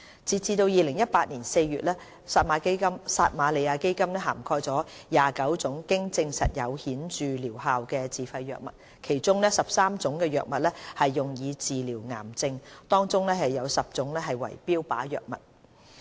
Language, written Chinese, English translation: Cantonese, 截至2018年4月，撒瑪利亞基金涵蓋了29種經證實有顯著療效的自費藥物，其中13種藥物用以治療癌症，當中有10種為標靶藥物。, As at April 2018 a total of 29 self - financed drugs proven to be of significant benefits were covered by the Samaritan Fund . Among them 13 are for cancer treatment of which 10 are targeted therapy drugs